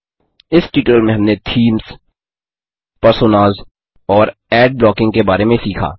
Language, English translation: Hindi, In this tutorial, we learnt about: Themes, Personas, Ad blocking Try this assignment